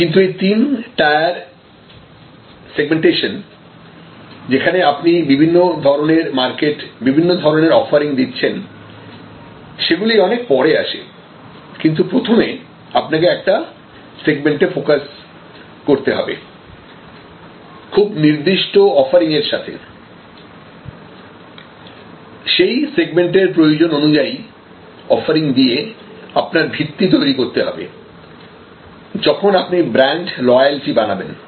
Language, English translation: Bengali, But, before the three tier segregation comes much later, when you have different types of offerings and different segments of market that you are serving, initially it is important to focus on one segment and very clear cut offering, matching the requirement of that particular segment that is the foundation, where you start building loyalty